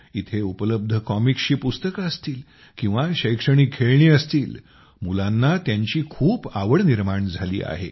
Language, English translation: Marathi, Whether it is comic books or educational toys present here, children are very fond of them